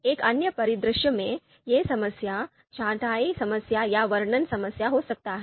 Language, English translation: Hindi, So in another scenario, it would be choice problem, sorting problem or description problem